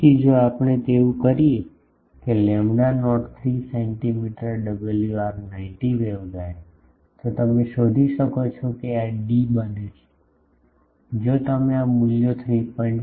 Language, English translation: Gujarati, Again, if we do that thing that lambda not 3 centimeter WR90 waveguide then you can find this D becomes if you put these values 3